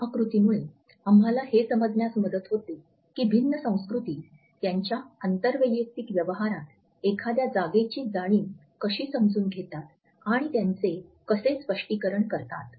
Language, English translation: Marathi, This diagram also helps us to understand how different cultures understand and interpret the sense of a space in their inter personal dealings